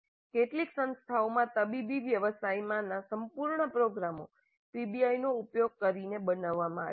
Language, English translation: Gujarati, Entire programs in medical profession have been designed using PBI in some institutes